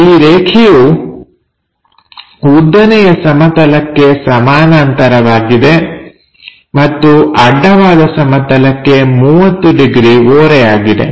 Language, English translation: Kannada, And, this line is parallel to vertical plane and inclined to horizontal plane at 30 degrees